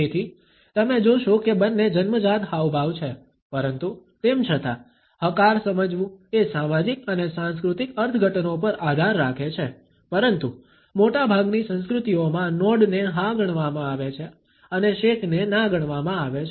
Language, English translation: Gujarati, So, you would find that both are presumed to be inborn gestures, but; however, nod is to be understood, depends on the social and cultural interpretations, but in most cultures are not is considered to be a yes and a shake is considered to be a no